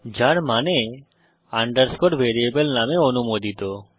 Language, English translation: Bengali, Which means an underscore is permitted in a variable name